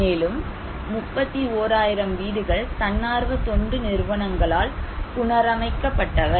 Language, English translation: Tamil, And, another 31,000 was NGO reconstructed houses